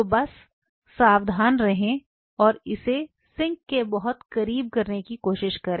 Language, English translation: Hindi, So, just be careful and try to do it very close to the sink